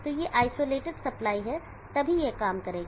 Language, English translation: Hindi, So these are isolated supplies only then it will work